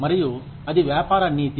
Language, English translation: Telugu, And, that is Business Ethics